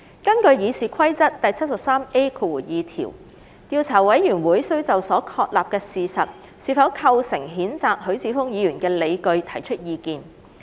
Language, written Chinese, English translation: Cantonese, 根據《議事規則》第 73A2 條，調查委員會需就所確立的事實是否構成譴責許智峯議員的理據提出意見。, In accordance with RoP 73A2 the Investigation Committee needs to give its views on whether or not the facts as established constitute grounds for the censure of Mr HUI Chi - fung